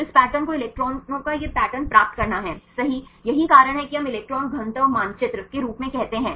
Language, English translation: Hindi, So, getting this patterns this patterns of the electrons right that is why we call as electron density map